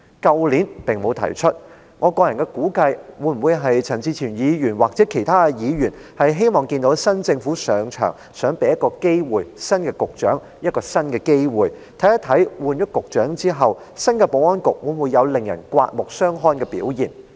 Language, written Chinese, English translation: Cantonese, 去年並沒有提出類似的修正案，我個人估計或會是陳志全議員或其他議員希望在新政府剛上場時，想給新任局長一個機會，看看換了人以後，新的保安局會否有令人刮目相看的表現。, The reason why no similar amendment was proposed last year as I personally reckon was that Mr CHAN Chi - chuen or other Members hoped to give the new Secretary a chance when the new Government was formed so as to see whether the reshuffled Security Bureau will do anything impressive